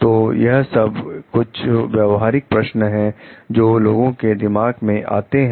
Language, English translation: Hindi, So, these are some like practical questions, which comes to people mind